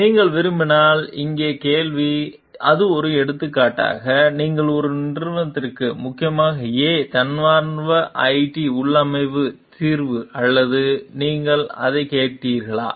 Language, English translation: Tamil, Question here if you see like, so, like for example, does it matter the company A volunteered it s configuration solution or you ask for it